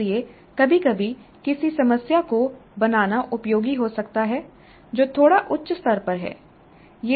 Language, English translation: Hindi, So sometimes it may be useful to set a problem which is at a slightly higher level